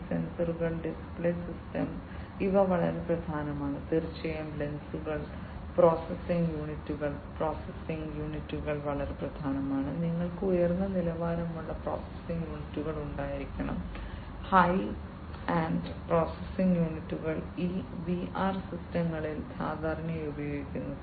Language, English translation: Malayalam, These sensors, the display system, these are very important and of course, the lenses the processing units processing units are very important and you know you need to have high end processing units high end very high end processing units are typically used in these VR systems